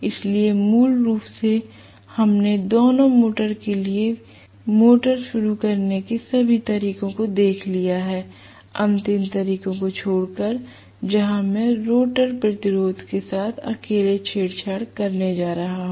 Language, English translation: Hindi, So, basically we looked at all these method of starting common to both the motors except for the last method where I am going to tamper with the rotor resistance alone